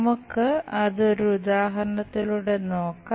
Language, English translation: Malayalam, Let us look at that through an example